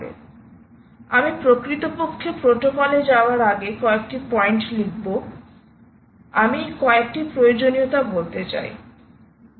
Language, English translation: Bengali, so, before i actually get into the protocol, let me put down a few points